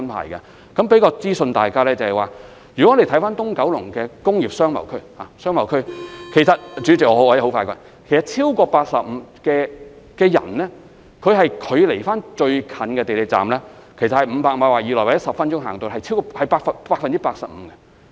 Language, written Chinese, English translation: Cantonese, 我想向大家提供一項資訊，如果看看九龍東的商貿區——主席，我會盡快說完——其實將來超過 85% 的就業人士與最近的港鐵站只是距離500米以內，大約10分鐘便可步行到達。, Let me provide you with the following information . If we take a look at the business areas of Kowloon East―President I will finish as soon as possible―in fact more than 85 % of the people working there in the future will be only less than 500 m away from the nearest MTR station and they can walk to the station in about 10 minutes